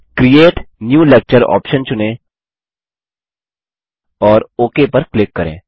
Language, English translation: Hindi, Now, select the Create New Lecture option and click OK